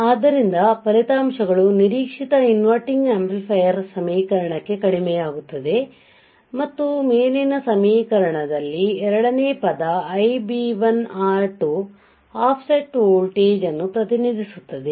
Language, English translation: Kannada, So, the results reduce to expected inverting amplifier equation and second term in the above expression Ib1 R2 Ib1 R2 represents the represents offset voltage you got it